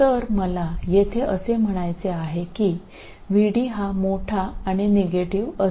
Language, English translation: Marathi, So, what I'm saying here is VD is large and negative